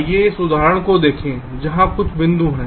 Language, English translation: Hindi, lets look at this example where there are some points